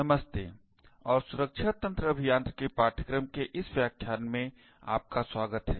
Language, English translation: Hindi, Hello and welcome to this lecture in the course for Secure Systems Engineering